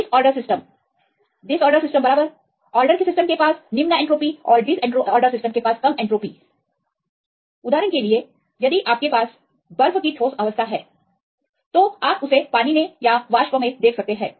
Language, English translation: Hindi, Disorder system right the orders system as low entropy and the disorder system as less entropy for example, if you have a solid state this ice right you can see them go into water either into vapour